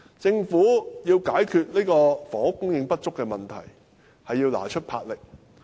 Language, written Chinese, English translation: Cantonese, 政府想解決房屋供應不足的問題，是要拿出魄力的。, If the Government is to solve the problem of housing shortage it must have a lot courage